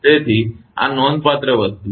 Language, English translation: Gujarati, So, these are the significant thing